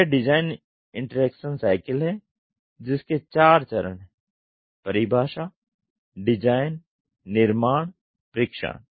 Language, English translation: Hindi, This is the design interaction cycle you have four stages; define, design, build, test